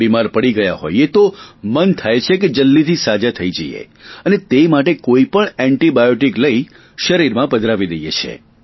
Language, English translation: Gujarati, When we fall sick, we want to get well as soon as possible and as a result pop in just any antibiotic that we can lay our hands on